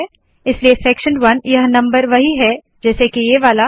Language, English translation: Hindi, So section 1, this number is the same as this one